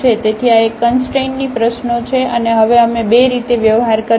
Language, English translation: Gujarati, So, this is a problem of a constraint and now we will deal in two ways